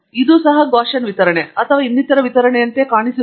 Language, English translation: Kannada, Does it look like a Gaussian distribution or some other distribution